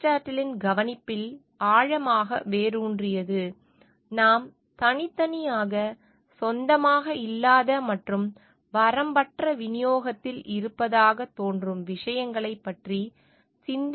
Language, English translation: Tamil, The thought is deeply rooted in Aristotle s observation that we tend to be thoughtless about things we do not own individually and which seem to be in unlimited supply